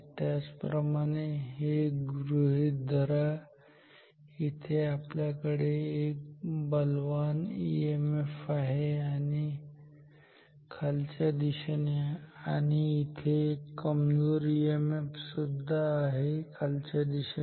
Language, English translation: Marathi, Similarly consider this loop, here we have a strong EMF downwards and here are weak EMF again downwards